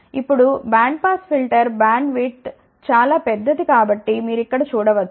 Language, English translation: Telugu, Now, you can see over here for band pass filter bandwidth obtained is very large ok